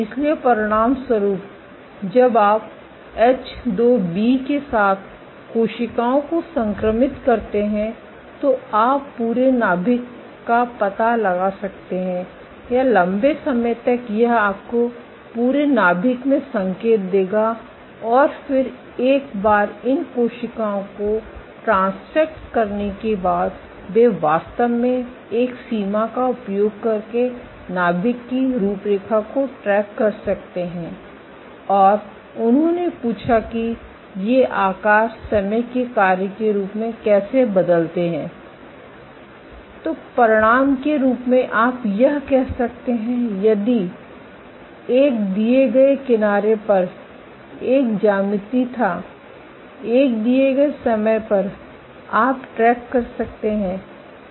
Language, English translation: Hindi, So, as a result, so when you transfect cells with H2B you can detect the entire nucleus round or elongated it will give you signal throughout the nucleus, and then once they transfected these cells they can actually track the outline of the nucleus using thresholding, and they asked that how do these shapes change as a function of time ok